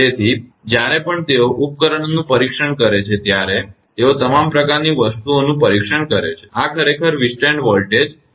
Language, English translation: Gujarati, So, whenever they are testing the equipment they test all sort of things so, this is actually withstand voltage